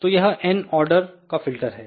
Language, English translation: Hindi, So, that n is the order of the filter